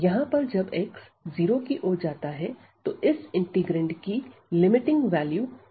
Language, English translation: Hindi, So, here when x approaching to 1 this is becoming unbounded our integrand is becoming unbounded